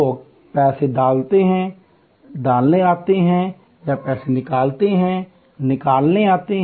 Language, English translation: Hindi, People come into put in money or take out money